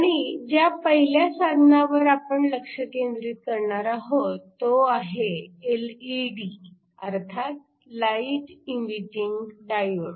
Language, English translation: Marathi, And the first device you are going to focus on is the LED or the light emitting diode